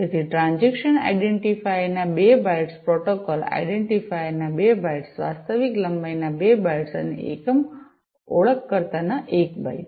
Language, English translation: Gujarati, So, 2 bytes of transaction identifier, 2 bytes of protocol identifier, 2 bytes of actual length, and 1 byte of unit identifier